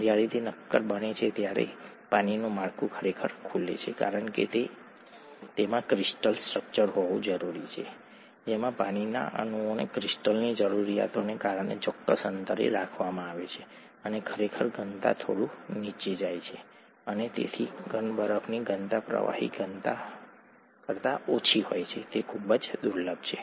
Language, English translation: Gujarati, When it becomes a solid the structure of water actually opens up because it needs to have a crystal structure with the water molecules being kept at a certain distance because of the crystal needs, and the density actually goes down a little bit, and therefore the solid ice density is lower than the liquid density, is very rare